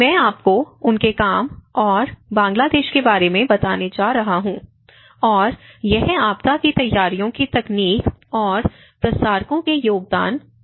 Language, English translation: Hindi, And I am going to prepare, I mean present you about his work and Bangladesh and that is on diffusion of disaster preparedness technology and what pioneers contribute